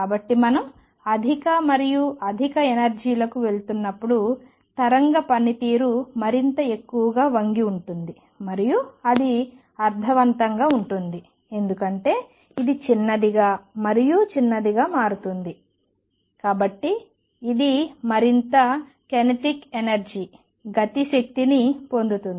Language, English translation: Telugu, So, you see as we go to higher and higher energies, wave function bends more and more and that make sense, because lambda becomes smaller and smaller, So it gains more kinetic energy